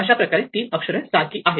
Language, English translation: Marathi, Therefore, these three letters must be the same